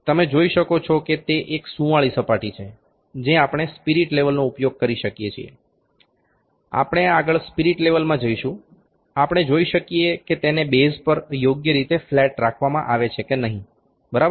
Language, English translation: Gujarati, You can see that it is a smooth surface we can using the spirit level, we will next move to a spirit level we can see that whether it is kept properly flat to the base or not, ok